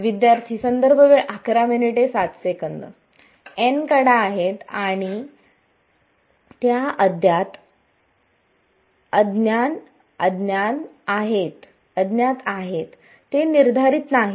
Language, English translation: Marathi, Has n edges and those unknowns continue to be unknown they are not determined